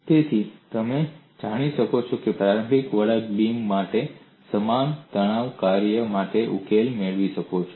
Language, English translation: Gujarati, So you could go and get the solution for initially curved beams with the same stress function